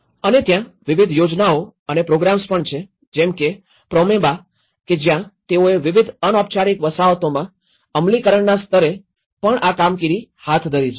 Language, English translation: Gujarati, And there are also various schemes and programmes like Promeba is one of the program and they have also conducted this as implementation level in various informal settlements